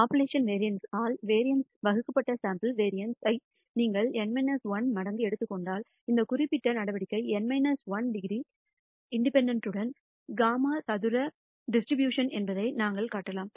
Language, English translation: Tamil, Then if you take N minus 1 times the sample variance divided by the popu lation variance, we can show that this particular measure is a chi squared dis tribution with N minus 1 degrees of freedom